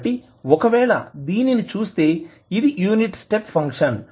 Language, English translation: Telugu, So if you see this, this is the unit step function